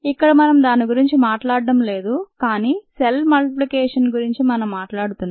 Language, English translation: Telugu, but we are not taking about that, we are taking of of the multiplication of cells, ah